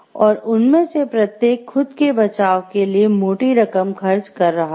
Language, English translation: Hindi, And each of them incurred great cost defending themselves